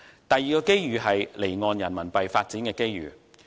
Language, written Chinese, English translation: Cantonese, 第二個機遇，就是離岸人民幣發展的機遇。, The second opportunity is the development of off - shore Renminbi RMB business